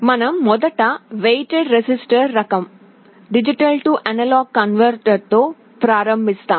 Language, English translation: Telugu, We first start with the weighted register type D/A converter